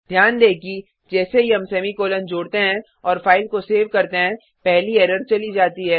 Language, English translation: Hindi, notice that once we add the semi colon and save the file, the first error is gone